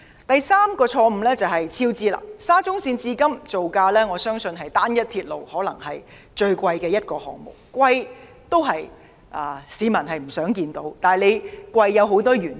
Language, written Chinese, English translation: Cantonese, 我相信沙中線項目可能是至今造價最昂貴的單一鐵路項目，雖然造價昂貴不是市民所願見，但造價昂貴有多種原因。, I believe the SCL Project is likely the most expensive single railway project thus far . Though a high construction cost is not what people wish for there are a number of reasons for it